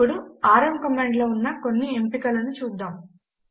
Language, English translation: Telugu, Now let us look into some of the options of the rm command